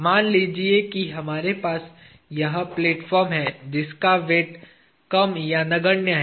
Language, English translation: Hindi, Let us say we have this platform, which is mass less or negligible weight